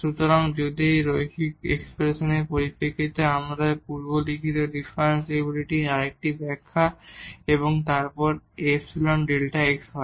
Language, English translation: Bengali, So, this is another interpretation of the differentiability we have written earlier in terms of that linear expression and then epsilon delta x